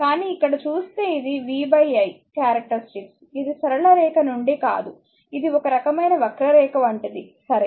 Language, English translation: Telugu, But if you see, but this characteristic v by i, it is not from not a straight line it is some kind something like a curve linear, right